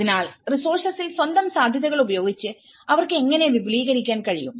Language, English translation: Malayalam, So, how they can expand with their own feasibilities on the resources